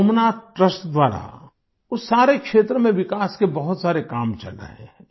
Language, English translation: Hindi, Many works for the development of that entire region are being done by the Somnath Trust